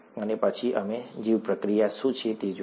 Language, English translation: Gujarati, And then, we looked at what a bioreactor was